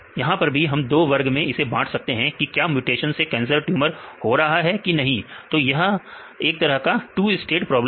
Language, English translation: Hindi, So, here also we can see whether this mutation rights it is causing tumour or not, we can this is a kind of two state problem